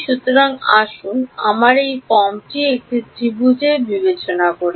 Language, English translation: Bengali, So, let us let us consider a triangle of this form ok